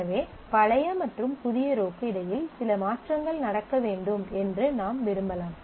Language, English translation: Tamil, So, I might want between the old row and the new row that certain things happen